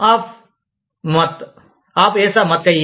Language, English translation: Telugu, AAP MAT AAP YESA MAT KAHIYE